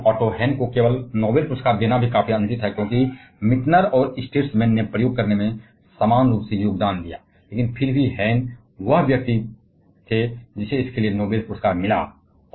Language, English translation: Hindi, And that it is also quite unfair to give the Noble prize only to the Otto Hahn, because Meitner and Strassman contributed equally to experiment, but still Hahn was the person who received the Noble prize for this